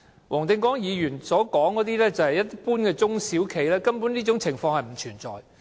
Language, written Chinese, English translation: Cantonese, 黃定光議員所談到的是一般中小企，中小企根本不會出現這些情況。, The cases cited by Mr WONG Ting - kwong involved small and medium enterprises SMEs but such situations simply would not happen in SMEs